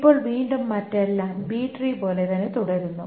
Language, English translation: Malayalam, Now, again, everything else remains the same as a B tree